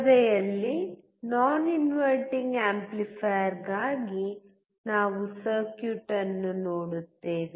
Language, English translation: Kannada, In the screen, we see a circuit for non inverting amplifier